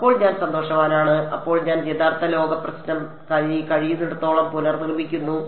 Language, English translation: Malayalam, Then I am happy then I am recreating the real world problem as far as possible right